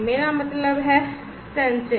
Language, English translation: Hindi, I mean we will do the sensing